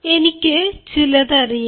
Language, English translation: Malayalam, i know something